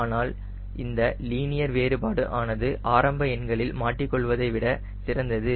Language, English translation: Tamil, but this linear variation is quite good in terms of getting hang of initial numbers